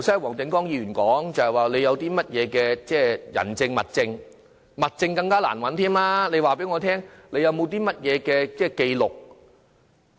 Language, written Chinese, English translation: Cantonese, 黃定光議員剛才說，要有甚麼人證和物證，物證是更難找到的，難道不法分子會作紀錄嗎？, Mr WONG Ting - kwong said just now that there must be witnesses and material evidence . Material evidence is even more difficult to find . Will outlaws mark down their illegal liquor transactions?